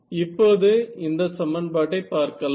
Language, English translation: Tamil, So, this becomes my equation 5